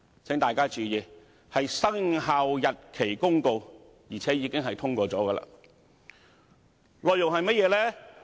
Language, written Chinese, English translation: Cantonese, 請大家注意，是《公告》，而且已獲通過，內容是甚麼？, Please take note that it is the Notice we are talking about and the Notice has already been passed . What is it about?